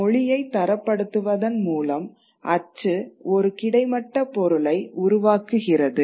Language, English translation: Tamil, So, by standardizing the language, what print does, it creates a horizontal community